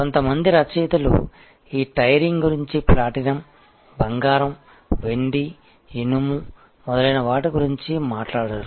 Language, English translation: Telugu, So, some authors have talked about this tiering has platinum, gold, silver, iron and so on